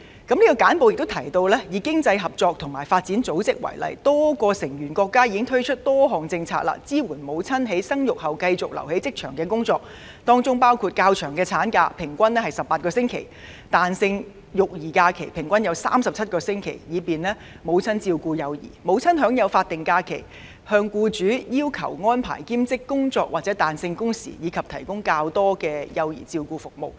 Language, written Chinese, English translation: Cantonese, 這份簡報也提到，以經濟合作與發展組織為例，多個成員國家已推出多項政策支援母親在生育後繼續留在職場工作，當中包括：較長的產假，平均為18個星期；彈性育兒假期，平均為37個星期，以便母親照顧幼兒；母親所享有法定假期；可要求僱主安排兼職工作或彈性工時，以及提供較多的幼兒照顧服務。, Citing the Organization for Economic Cooperation and Development OECD as an example the report also mentions that a number of OECDs member states have already introduced policies to support mothers to continue working in the workplace after giving birth including the provision of longer maternity leave averaging at 18 weeks; flexible childcare leave averaging at 37 weeks to enable mothers to take care of their young children; granting of statutory leave for mothers; the statutory right for mothers to request part - time work or flexible working hours from employers; and provision of more child care services